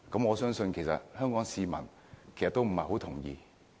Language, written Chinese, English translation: Cantonese, 我相信香港市民都不會同意。, I believe the people of Hong Kong will disagree